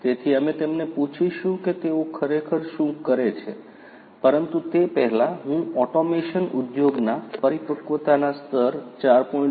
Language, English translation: Gujarati, So, we are going to ask him about what they exactly do, but before that I wanted to talk about the level of maturity of automation Industry 4